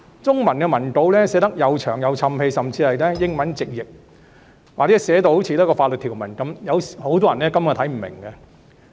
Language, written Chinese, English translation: Cantonese, 中文版的文稿寫得冗長，甚至是從英文直譯過來，或是寫得如法律條文般，很多人根本看不明白。, The Chinese texts are marred by verbosity and may even contain literal translation from English or sound like legal provisions . Many people can hardly comprehend them